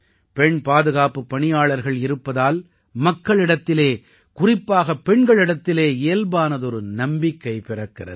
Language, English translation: Tamil, The presence of women security personnel naturally instills a sense of confidence among the people, especially women